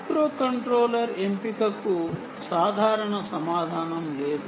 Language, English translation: Telugu, there is no simple answer to choice of a microcontroller